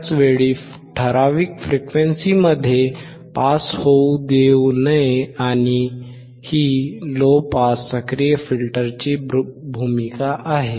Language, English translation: Marathi, At the same time at certain frequency to be not allowed to pass and this is the role of the high active filter low pass active filter